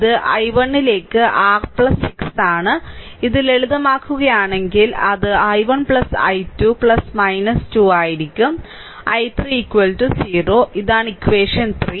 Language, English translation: Malayalam, So, this is your plus 6 into I, if you simplify this, it will be i 1 plus i 2 plus minus 2; i 3 is equal to 0, this is equation 3